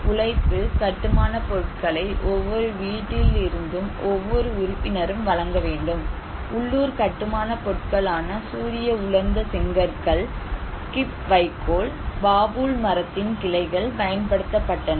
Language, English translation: Tamil, Also, each one member from each house they should provide labour, building materials; they used the local building materials like sun dried bricks, Khip straw, branches of the babool tree were used